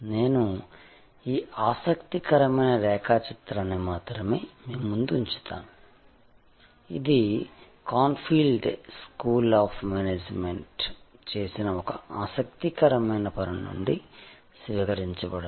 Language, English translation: Telugu, I will only leave this interesting diagram in front of you; this is adopted from one of the interesting work done at Cranfield School of Management